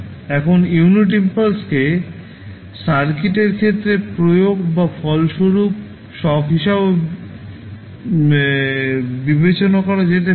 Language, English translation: Bengali, Now, unit impulse can also be regarded as an applied or resulting shock into the circuit